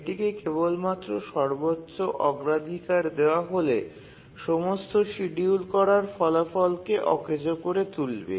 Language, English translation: Bengali, Because simply giving it a highest priority that will make our all the schedulability results unusable